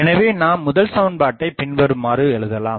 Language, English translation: Tamil, So, what is this equation tells us